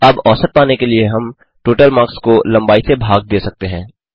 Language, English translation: Hindi, Now to get the mean we can divide the total marks by the length